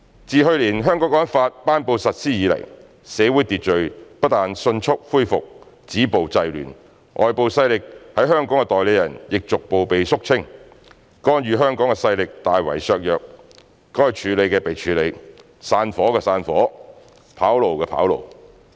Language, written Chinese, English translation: Cantonese, "自去年《香港國安法》頒布實施以來，社會秩序不但迅速恢復，止暴制亂，外部勢力在香港的代理人亦逐步被肅清，干預香港的勢力大為削弱，該處理的被處理、散夥的散夥、跑路的跑路。, Since the promulgation and implementation of the Hong Kong National Security Law not only has social order been quickly restored after violence and disorder have been stopped and curbed but the Hong Kong - based agents of foreign forces have also be gradually eliminated and the forces that interfered in Hong Kong affairs been greatly weakened . Those should be handled have been handled with many of them having disbanded or run away